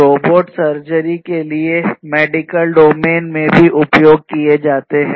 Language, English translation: Hindi, Robots are also used in medical domain for robotic surgery